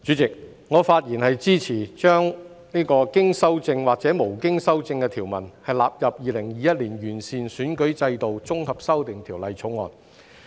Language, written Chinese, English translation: Cantonese, 主席，我發言支持把經修正或無經修正的條文納入《2021年完善選舉制度條例草案》。, Chairman I speak to support that the provisions with or without amendments stand part of the Improving Electoral System Bill 2021 the Bill